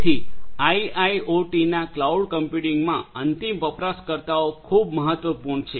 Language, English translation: Gujarati, So, end users are very important in cloud computing in IIoT